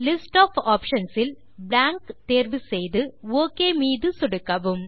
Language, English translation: Tamil, From the list of options, select Blank and click OK